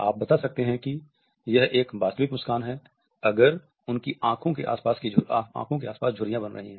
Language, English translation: Hindi, You can tell if it is a real smile if there are wrinkles around their eyes